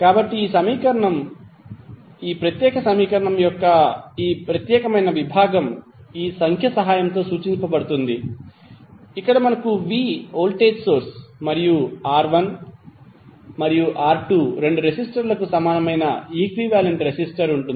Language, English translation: Telugu, So this equation, this particular segment of the this particular equation will be represented with the help of this figure, where we have a v voltage source and the equivalent resistor of both of the resistors both R¬1 ¬ and R¬2¬